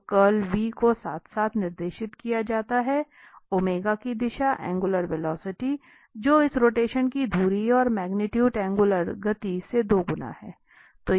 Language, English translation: Hindi, So, the curl v is directed along so, it is the same the curl v, the direction of this omega, the angular velocity that is the axis of this rotation and the magnitude is twice the angular speed